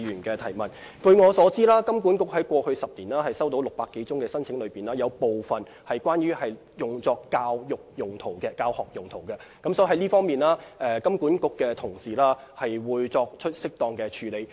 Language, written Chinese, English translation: Cantonese, 據我所知，金管局在過去10年接獲的600多宗申請中，大部分是用作教育或教學用途，所以金管局在這方面會作出適當處理。, As far as I know most of the 600 - odd applications received by HKMA in the past 10 years were for education or teaching purposes . Hence HKMA will make suitable decisions in this regard